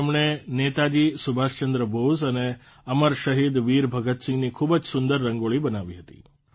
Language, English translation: Gujarati, He made very beautiful Rangoli of Netaji Subhash Chandra Bose and Amar Shaheed Veer Bhagat Singh